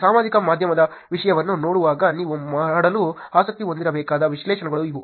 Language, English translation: Kannada, These are the kind of analysis that you should be interested in doing while looking at the social media content